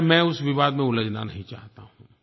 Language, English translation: Hindi, Well, I don't want to embroil into this controversy